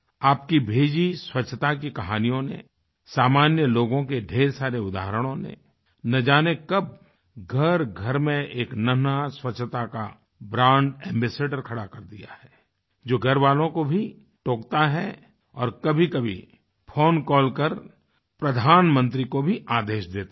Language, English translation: Hindi, The stories that you've sent across in the context of cleanliness, myriad examples of common folk… you never know where a tiny brand ambassador of cleanliness comes into being in various homes; someone who reprimands elders at home; or even admonishingly orders the Prime Minister through a phone call